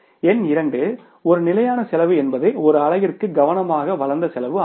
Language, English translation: Tamil, Number two, a standard cost is carefully developed a cost per unit that should be attained